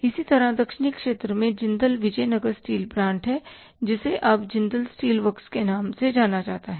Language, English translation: Hindi, Similarly in the southern region, Jendal Bijanag steel plant which is now known as JASW J